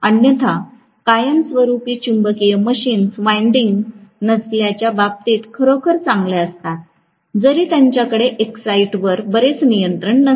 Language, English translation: Marathi, Otherwise permanent magnet machines are really, really good in terms of not having any winding, although they do not have much of control over the excitation right